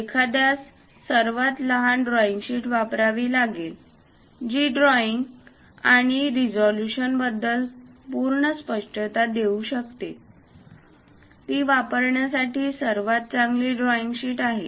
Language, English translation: Marathi, One has to use the smallest drawing sheet , which can give complete clarity about the drawing and resolution; that is the best drawing sheet one has to use